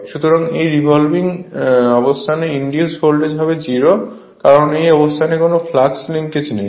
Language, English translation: Bengali, So, it is revolving, so at this position the voltage induced will be 0, because no flux linkage here and here at this position